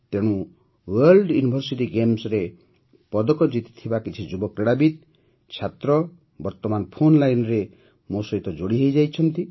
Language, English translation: Odia, Hence, some young sportspersons, students who have won medals in the World University Games are currently connected with me on the phone line